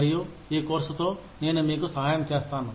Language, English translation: Telugu, And, I will be helping you, with this course